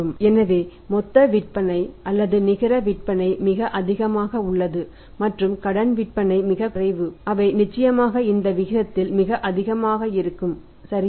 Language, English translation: Tamil, So, gross sales or net sales are very high and credit sales are very low the certainly in this ratio will be very high right